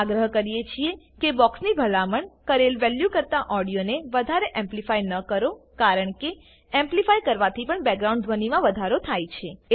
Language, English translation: Gujarati, It is advisable not to amplify the audio too much above the recommended value in the box because amplification also enhances background sounds